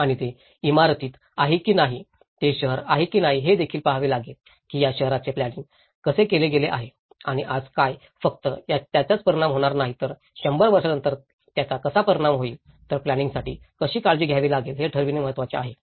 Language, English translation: Marathi, And whether it is in a building, whether it is a city, one also has to look at in what conditions this city has been planned and what would be the impact not only today but how it will make an impact after hundred years as well, so this is important setting how the for planning has to be taken care of